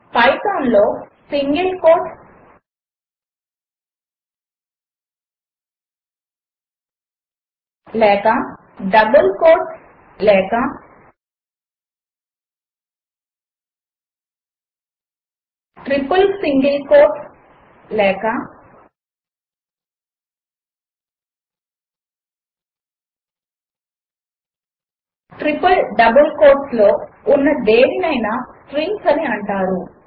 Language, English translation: Telugu, In Python anything within either single quotes or double quotes or triple single quotes or triple double quotes are strings